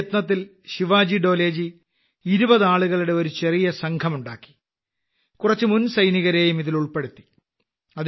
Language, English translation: Malayalam, In this campaign, Shivaji Dole ji formed a small team of 20 people and added some exservicemen to it